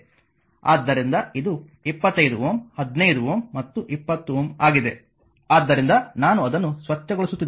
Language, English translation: Kannada, So, it is fifth 25 ohm 15 ohm and 20 ohm right; so, this is I am cleaning it